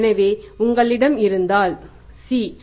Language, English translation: Tamil, So it means if you have the C that is 11